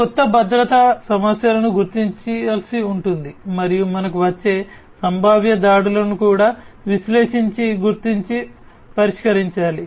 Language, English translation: Telugu, So, these new security issues will have to be identified and the potential attacks that can come in we will also have to be analyzed, identified and then resolved